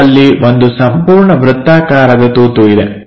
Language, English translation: Kannada, And there is a whole circular hole